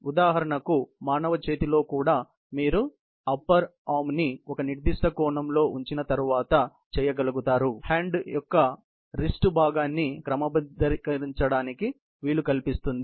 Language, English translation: Telugu, Let us say for example, in the human arm also, once you have positioned the upper arm at a certain angle, then you are able to, enable to sort of turn the wrist portion of the arm